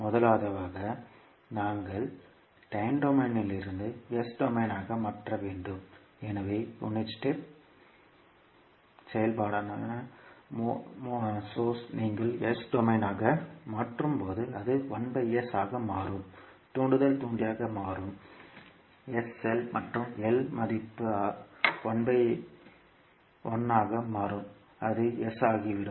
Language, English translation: Tamil, First we have to transform the circuit from time domain into s domain, so the source which is unit step function when you will convert into s domain it will become 1 by S, inductor will become the inductor is sL and value of L is 1so it will become S